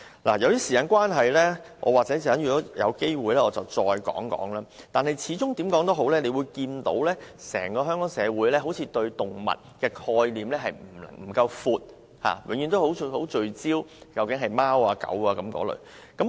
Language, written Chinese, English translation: Cantonese, 由於時間關係，稍後如有機會，我會再談論此事。但是，無論如何，整個香港社會好像對動物的概念不夠廣，永遠只是聚焦於貓和狗。, Given the time constraint I will discuss this issue if I have the chance later but anyhow the entire Hong Kong community does not seem to have a sufficiently broad perspective about animals and people seem to focus on dogs and cats only